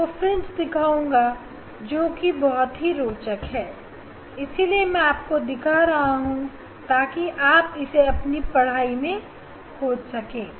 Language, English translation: Hindi, next I will just show you the fringe these very interesting that is why I am showing to discover the to study the